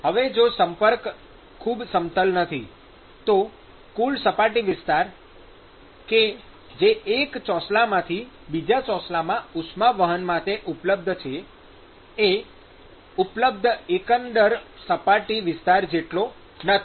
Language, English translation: Gujarati, Now if the contact is not very smooth, then the total surface area which is available for heat transport from one slab to the other slab is not as much as the overall surface area which is available